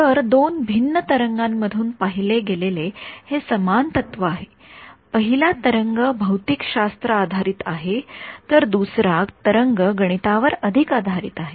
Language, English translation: Marathi, So, it is the same principle seen from two different waves; the first wave is the physics based wave the second wave is a more math based wave ok